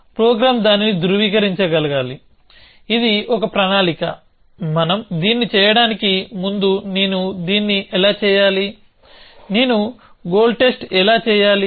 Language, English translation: Telugu, The program should be able to validate that, this is a plan how do I do that before we do that, how do I do goal test